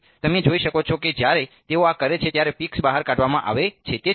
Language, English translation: Gujarati, So, you can see that when they do this the peaks are extracted out